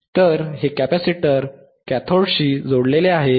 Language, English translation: Marathi, So, this capacitor is connected to the cathode is connected to the cathode